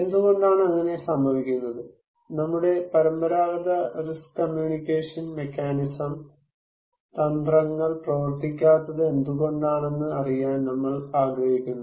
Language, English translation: Malayalam, We would like to know that why it is so, why our conventional risk communication mechanism strategies are not working that is the challenge